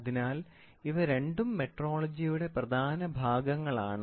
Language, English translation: Malayalam, So, these two are the important functions of metrology